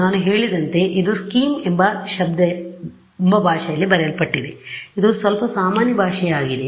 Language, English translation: Kannada, So, this is as I mentioned is written in a language called scheme which is a slightly unusual language